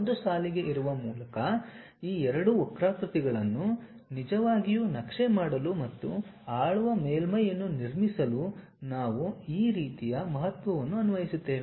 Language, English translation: Kannada, That kind of weightage we will apply to really map these two curves by joining a line and try to construct a ruled surface